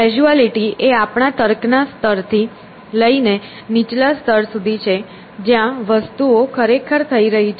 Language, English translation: Gujarati, So, the causality is from our level of reasoning to the lower level where things are actually happening